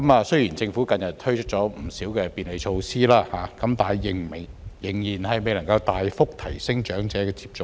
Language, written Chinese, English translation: Cantonese, 雖然政府近日推出不少便利措施，但仍然未能大幅提升長者的接種率。, Although the Government has recently introduced a number of facilitation measures it has not been able to significantly increase the vaccination rate of the elderly